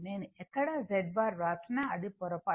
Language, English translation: Telugu, Wherever Z bar I have written, it is by mistake